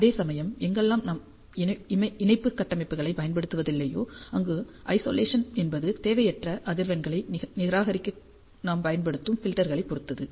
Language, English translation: Tamil, Whereas wherever you we do not use the coupling structures the Isolation depends on the filters that we use to reject the undesired frequencies